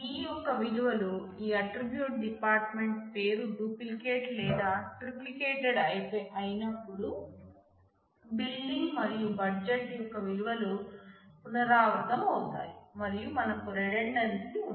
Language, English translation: Telugu, So, since it does not, so when the values of this key, this attribute department name is duplicated or triplicated, the values of the building and budget are repeated and we have the redundancy